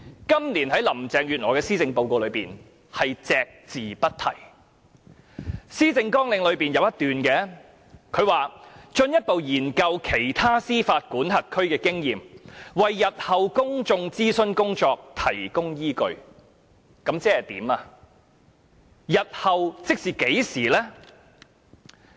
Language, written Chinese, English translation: Cantonese, 今年在林鄭月娥的施政報告中，便是對此隻字不提，而在她的施政綱領中則有一段，就是："進一步研究其他司法管轄區推行反歧視措施的經驗，為日後的公眾諮詢工作提供依據"，這究竟是甚麼意思呢？, Well in her policy address this year Carrie LAM simply does not mention this issue at all . And in the policy agenda there are only these words conducting further study on the experience of other jurisdictions in implementing anti - discrimination measures to provide the basis for future consultations . What does this mean anyway?